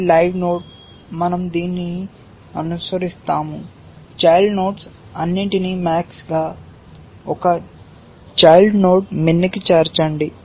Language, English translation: Telugu, It is a live node, we follow this, add all children for max, one child for min